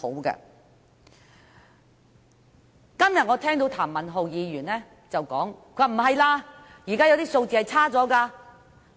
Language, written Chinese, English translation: Cantonese, 我今天聽到譚文豪議員說情況並非如此，現在有些數據顯示情況差了。, Today I heard that Mr Jeremy TAM say that is not the case and that according to some figures the situation has actually worsened